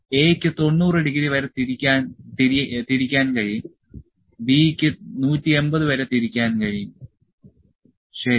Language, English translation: Malayalam, So, A can rotate up to 90 degree B can rotate up to 180, ok